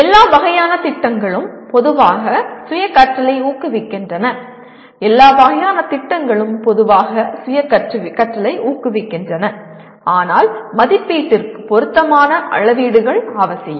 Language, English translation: Tamil, Projects of all kinds generally promote self learning, projects of all kinds generally promote self learning, but appropriate rubrics are necessary for measurement